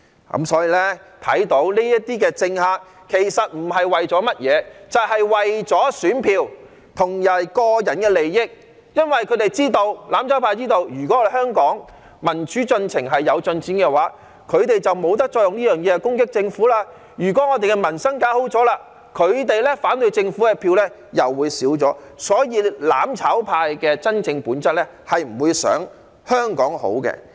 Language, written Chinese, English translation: Cantonese, 由此可見，這些政客不是為了甚麼，就只是為了選票及個人利益，因為"攬炒派"知道，如果香港民主進程有進展，他們便不能藉此攻擊政府；如果搞好了民生，他們反對政府的票便會減少，所以"攬炒派"的真正本質是不會想香港好的。, From this we can see that these politicians are doing this for nothing but their votes and personal interests . Because the mutual destruction camp knows that if there is progress in the democratization of Hong Kong it cannot take this opportunity to attack the Government; if peoples livelihood is improved the votes against the Government for them will drop . Therefore it is the true nature of the mutual destruction camp that they do not want to see Hong Kong fare well